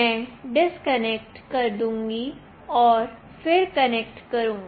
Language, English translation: Hindi, I will disconnect and then again connect